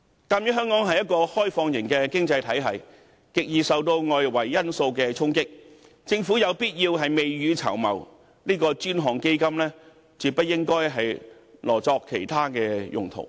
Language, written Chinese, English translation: Cantonese, 鑒於香港是一個開放型經濟體系，極易受到外圍因素衝擊，政府有必要未雨綢繆，這個專項基金絕不應該挪作其他用途。, In view of the fact that Hong Kong is an open economy vulnerable to external factors it is thus necessary for the Government to save for a rainy day . Hence this dedicated fund must not be spent on other purposes